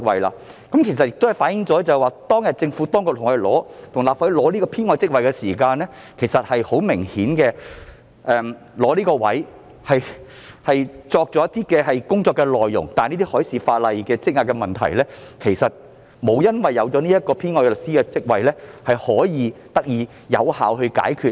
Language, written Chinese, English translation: Cantonese, 政府當年向立法會申請增加這個編外職位時，明顯擬訂了一系列工作內容，但修訂海事法例所積壓的工作，卻未有因新設的編外律師職位而得以有效解決。, When the Government applied to the Legislative Council for the creation of this supernumerary post back then it had apparently drawn up a list of tasks . However the backlog of the proposed amendments to marine legislation had not been effectively cleared after the creation of the supernumerary counsel post